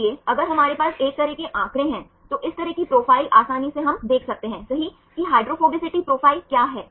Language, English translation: Hindi, So, if we have a kind of figures, kind of profiles easily we can see right what is the hydrophobicity profile